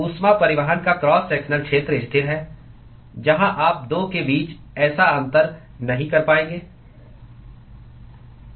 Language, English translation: Hindi, The cross sectional area of heat transport is constant, where you would not be able to make such a distinction between the 2